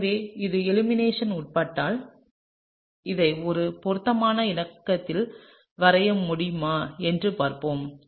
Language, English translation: Tamil, And so, if it undergoes elimination let me see if I can draw this in a suitable conformation